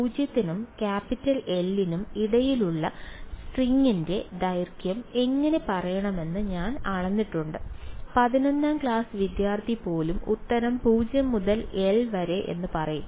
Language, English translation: Malayalam, I have measured how to speak the length of the string between 0 and l right even a class eleven student will say answer is 0 to l right